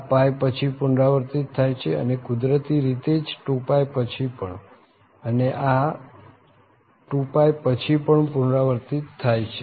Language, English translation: Gujarati, This is repeating after pie and naturally after 2 pie also and this is also repeating after 2 pie